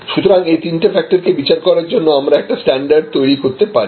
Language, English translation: Bengali, And therefore, we may create some standards by which we will be able to evaluate these three factors